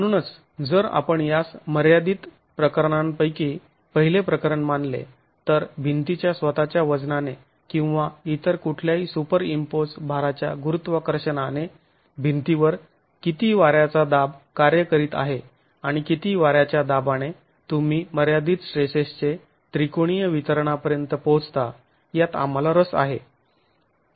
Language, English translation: Marathi, So, this if you consider this as the as one of the limiting cases, one of the first limiting cases, we are interested in knowing what wind pressure acting on the wall under the condition of the wall being loaded in gravity by itself weight or any superimposed load at what wind pressure would you reach this limiting triangular distribution of stresses